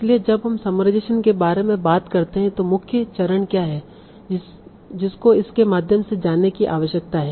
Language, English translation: Hindi, So when we talk about summarization, what are the main stages that one needs to go through